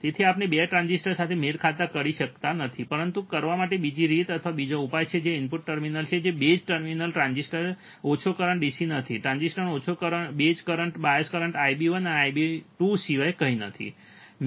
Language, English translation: Gujarati, So, we cannot do anything regarding the matching of the 2 transistors, but there is another way or another solution to do that is the input terminals which are the base terminal transistors do not current small DC, this small base currents of the transistors nothing but the bias currents I B 1 and I B 2